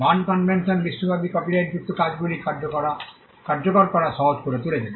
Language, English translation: Bengali, The BERNE convention made it easy for copyrighted works to be enforced across the globe